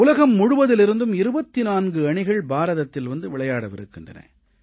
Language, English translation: Tamil, Twentyfour teams from all over the world will be making India their home